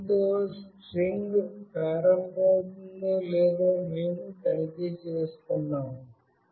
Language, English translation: Telugu, We are checking if the string starts with this